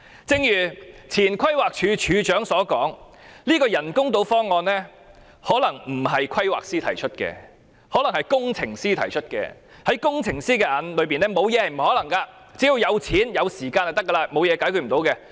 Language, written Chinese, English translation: Cantonese, 正如前規劃署署長推斷，這個人工島方案可能不是由規劃師提出，而是由工程師提出的；在工程師眼中，只要有錢、有時間，沒有事情不能解決。, As inferred by the former Director of Planning the option of artificial islands might be proposed by engineers instead of town planners . For engineers all works are possible provided that there is money and time